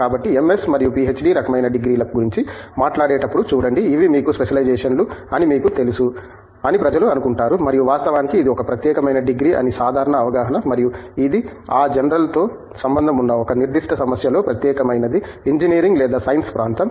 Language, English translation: Telugu, So, see when we talk of MS and PhD kind of degrees people tend to think that you know these are specializations and in fact, thatÕs the general perception that it is a specialized degree and it is a specialized in a specific problem associated with that general area of Engineering or Science